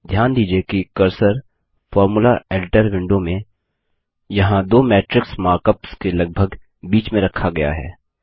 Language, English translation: Hindi, Notice that the cursor in the Formula Editor Window is placed roughly between the two matrix mark ups here